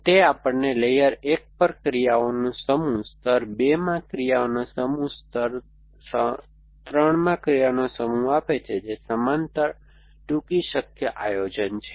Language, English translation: Gujarati, What it gives us is the set of actions at layer 1, set of actions in layer 2, set of actions in layer 3 which is the parallel shortest possible planning